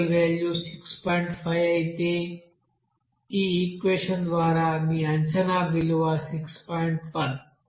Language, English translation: Telugu, 5 but your predicted value by this equation it is coming 6